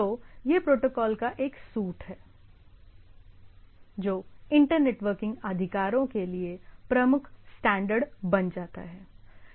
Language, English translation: Hindi, So, it’s a suite of it’s a suite of protocols that become the dominant standard for inter networking right